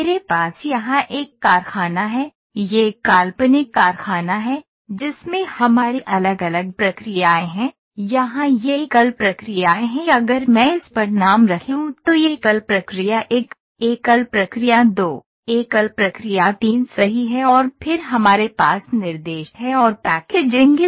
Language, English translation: Hindi, So, I have a factory for you this is a hypothetical factory, in which you have different processes here these are single processes if I put the names on this is single process 1, single process 2, single process 3 right and then we have instruction and packaging